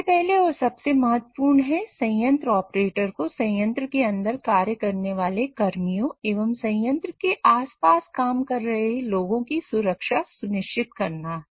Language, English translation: Hindi, So first and foremost, the plant or the operator has to ensure the safety of the personnel who are working inside the plant as well as those who are around the plant